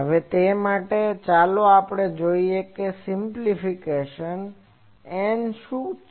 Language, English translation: Gujarati, Now for that, let us see the simplification; what is N